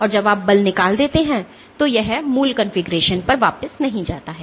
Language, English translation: Hindi, And after you have removed the force it does not go back to it is original configuration